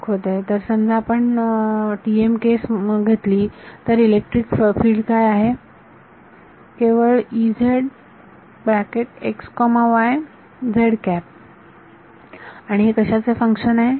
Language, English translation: Marathi, Pointing so, let us say take the TM case what is electric field, only E z and what is it a function of